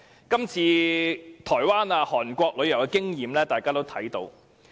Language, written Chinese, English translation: Cantonese, 今次台灣和韓國旅遊業的經驗，大家有目共睹。, The experience of Taiwan and South Korea can be seen by all